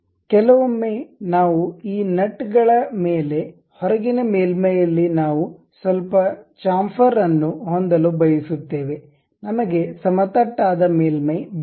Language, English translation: Kannada, Sometimes what we do is on these nuts, we would like to have a little bit chamfer on the outer surface, we do not want a flat surface